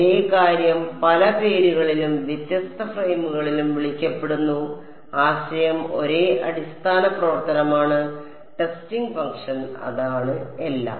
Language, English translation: Malayalam, The same thing is being called by different names and different frames; the concept is the same basis function, testing function that is all